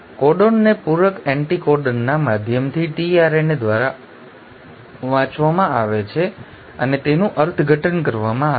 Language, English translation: Gujarati, The codons are read and interpreted by tRNA by the means of complementary anticodon